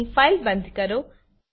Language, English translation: Gujarati, Here we close the file